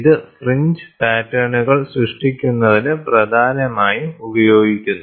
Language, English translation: Malayalam, And this is predominantly used for generating fringe patterns